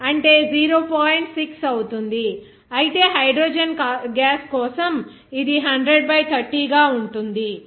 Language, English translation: Telugu, 6, whereas for hydrogen gas it will be 30 by 100 that is 0